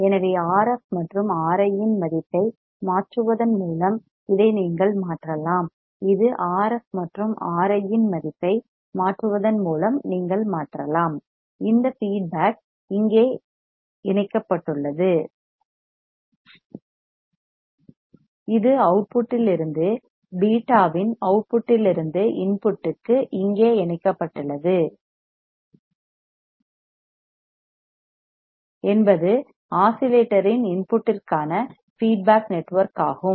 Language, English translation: Tamil, So, this you can change by changing the value of RF and R I, this you can change by changing the value of RF and R I, this feedback here it is connected here its connected here from the output to the input from output of the beta that is feedback network to the input of the oscillator